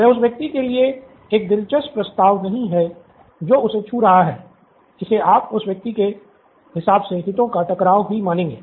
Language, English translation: Hindi, That’s not an interesting proposition for the person who is touching him, a conflict of interest if you will